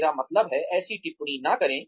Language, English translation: Hindi, I mean, do not make such comments